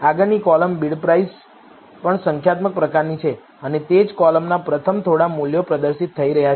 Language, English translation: Gujarati, The next column Bid Price is also of the type numeric and the first few values of the same column are being displayed